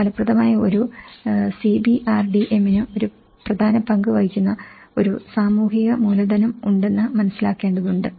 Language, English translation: Malayalam, For an effective CBRDM, one need to understand there is a social capital which plays an important role